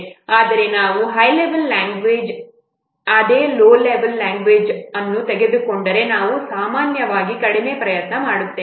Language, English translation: Kannada, Whereas if you will take a what C level language which is a high level language, then we normally put less effort